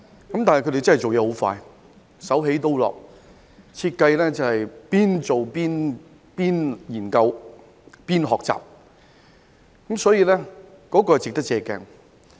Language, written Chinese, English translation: Cantonese, 他們做事真的很快，手起刀落，一邊設計，一邊研究，一邊學習，值得我們借鏡。, They are truly highly efficient by designing studying and learning at the same time which is worthy of our reference